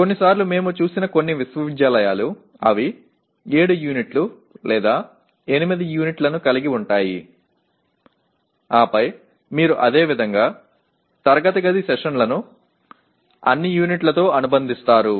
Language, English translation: Telugu, Sometimes some universities we have seen they may even go up to 7 units or 8 units and then you unitize like that they associate the same number of classroom sessions with all units